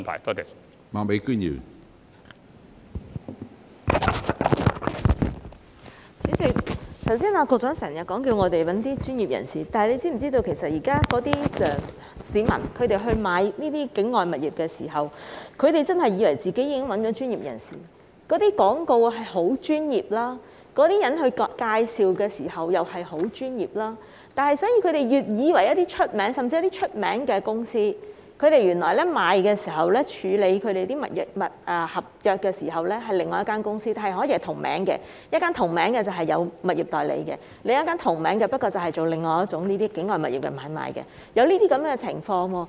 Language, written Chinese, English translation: Cantonese, 主席，局長剛才不斷叫大家去找一些專業人士，但他是否知道市民現在購買境外物業時，真的以為自己已經找到專業人士處理，因為那些廣告很專業，有關人士作出介紹時也很專業，甚至他們找了有名氣的公司購買物業，但原來處理物業合約的卻是另外一間公司，因為兩間公司是同名的，一間負責物業代理，另一間則負責境外物業的買賣，現在的確出現了這些情況。, President just now the Secretary kept telling people to engage professionals but does he know that when members of the public purchased overseas properties they really thought that they had already engaged professionals to handle their cases because the advertisements were very professional so were those people in making introductions on the properties . They had even engaged well - known companies to make the purchase but it turned out that their property contracts were handled by another company because the two companies bear the same name in that one is a property agency and the other is in charge of the sale and purchase of properties situated outside Hong Kong . This is exactly what is happening now